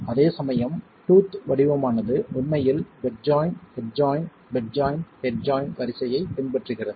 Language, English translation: Tamil, Whereas the tooth pattern is actually following the bed joint, head joint, bed joint, head joint sequence